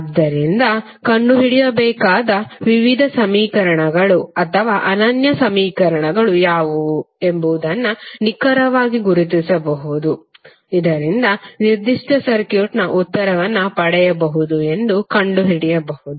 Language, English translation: Kannada, So that you can precisely identify what are the various equations or unique equation you have to find out so that you can find out you can get the answer of that particular circuit